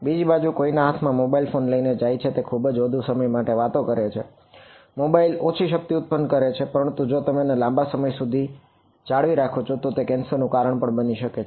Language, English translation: Gujarati, On the other hand someone carrying the mobile next to their hand and talking for extended periods of time; mobile produces less power, but if you keep it held for a long time that is also a possible cause for cancer